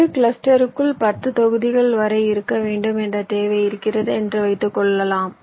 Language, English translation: Tamil, lets say, suppose i have a requirement that inside a cluster i can have upto ten blocks, and suppose i have a set of blocks to place